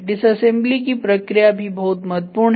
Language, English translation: Hindi, Dismantling process is also very important